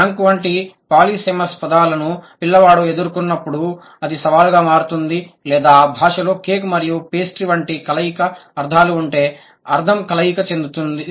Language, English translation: Telugu, It becomes a challenge when the child encounters polysamous words like bank or if the language has overlapping meaning like cake and pastry, the meaning is overlapping